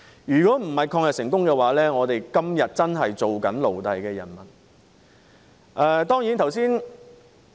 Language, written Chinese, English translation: Cantonese, 如果不是抗日成功，我們今天真的是"做奴隸的人們"。, If we had not succeeded in fighting against the Japanese we would really have become people who are slaves today